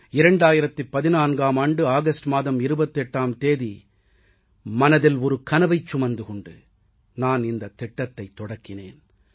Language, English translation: Tamil, On the 28th of August 2014, we had launched this campaign with a dream in our hearts